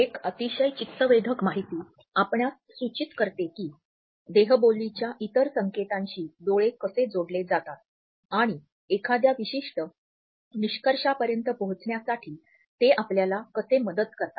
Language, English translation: Marathi, A very interesting we do you suggest how eyes are connected with other cues from body language and how they help us to reach a particular conclusion